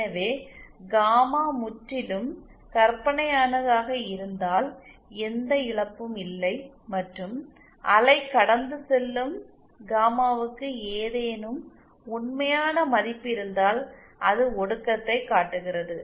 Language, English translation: Tamil, So, if gamma is purely imaginary, then there is no loss and the wave will be passed, if gamma has some real term which shows attenuation then